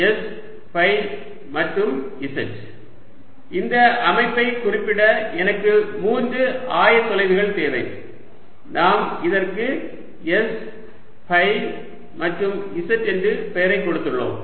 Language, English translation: Tamil, i need three point to three coordinates to specify the system and we have given this name: s, phi and z